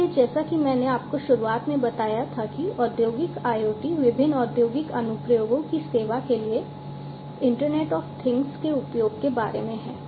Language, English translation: Hindi, So, as I told you at the outset that Industrial IoT is about the use of Internet of Things for serving different industrial applications